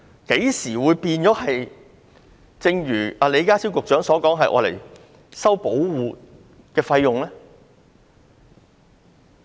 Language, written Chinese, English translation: Cantonese, 何時變了李家超局長所說要收取保護費用呢？, Since when does HKPF charge protection fees as stated by Secretary John LEE?